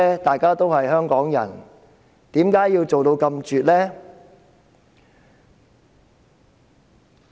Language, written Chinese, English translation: Cantonese, 大家都是香港人，為甚麼要做得這麼絕呢？, Why do they bother to do so? . We are all Hongkongers . Why do they treat us in such an unsympathetic way?